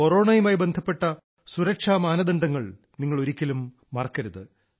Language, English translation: Malayalam, You must not forget the protocols related to Corona